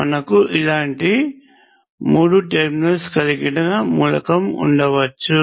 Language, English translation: Telugu, We can have an element like this, which has three terminals